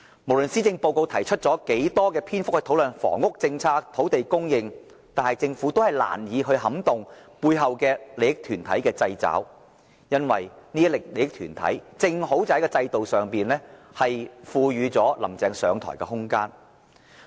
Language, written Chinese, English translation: Cantonese, 無論施政報告提出多少篇幅討論房屋政策、土地供應，但政府都難以擺脫背後利益團體的制肘，因為這些利益團體正好在制度上賦予"林鄭"上台的空間。, Regardless the number of pages written on housing policy and the supply of land it remains difficult for the Government to act independent of the groups of stakeholders who have thrown their weight behind it . Under the current system these groups of stakeholders grant Carrie LAM the room to helm the Government